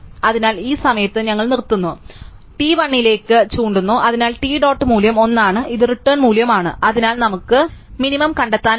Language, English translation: Malayalam, So, this at this point we stop, so t is pointing to 1, so therefore t dot value is 1 and this is the value by return, so we can find the minimum